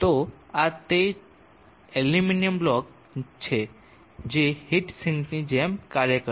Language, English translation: Gujarati, So this is the aluminum block which will act like a heat sink